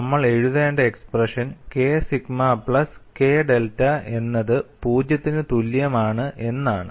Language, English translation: Malayalam, We have to write the expression K sigma plus K delta equal to 0, that is what I am going to do